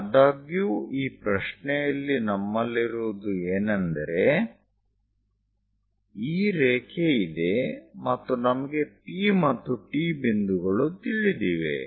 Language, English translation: Kannada, But in this problem what we have is; we have this line, we have this line if I am keeping this one Q, point P and T we know